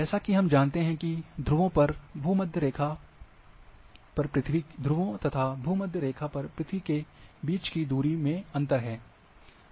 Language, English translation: Hindi, There is a difference between the distances around the earth between the poles versus the equator as we know